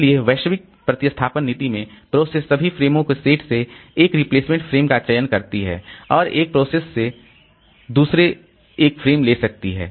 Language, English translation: Hindi, So, in local, in the global replacement policy, the process selects a replacement frame from the set of all frames and one process can take a frame from another